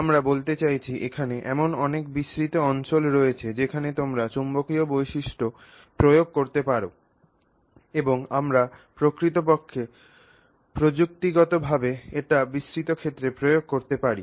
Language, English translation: Bengali, So, I mean, there's a wide range of areas where you can apply magnetic properties and we do in fact technologically apply it in a wide range of areas